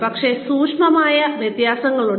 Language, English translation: Malayalam, But, there are subtle differences